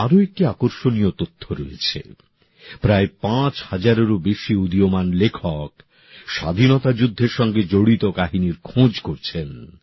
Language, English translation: Bengali, There is another interesting information more than nearly 5000 upcoming writers are searching out tales of struggle for freedom